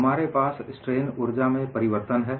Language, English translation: Hindi, We have a change in strain energy